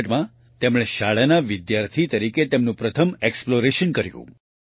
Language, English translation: Gujarati, In 1964, he did his first exploration as a schoolboy